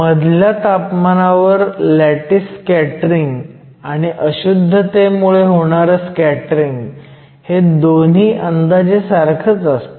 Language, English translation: Marathi, At intermediate temperatures both the scattering from the lattice, and the scattering from the impurities will be more or less equal